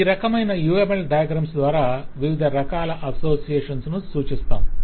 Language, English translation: Telugu, this is the kind of the uml diagram to specify the different kinds of association that we have